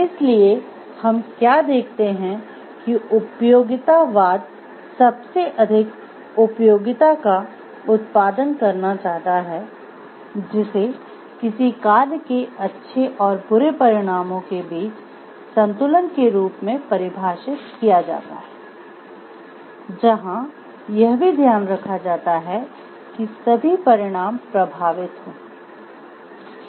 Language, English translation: Hindi, So, what we can see utilitarianism seeks to produce the most utility, which is defined as a balance between the good and the bad consequences of an action, taking into account the consequences for everyone affected